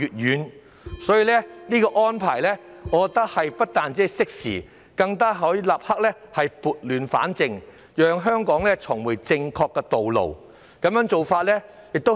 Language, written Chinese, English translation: Cantonese, 因此，我認為有關安排不但適時，更可以立刻撥亂反正，讓香港重回正確的道路。, Therefore I think that the oath - taking arrangements are not only timely but also able to put things right immediately so as to bring Hong Kong back on the right path